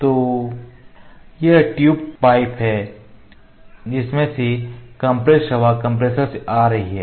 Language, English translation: Hindi, So, this is the tube pipe from which compressed air is coming from the compressor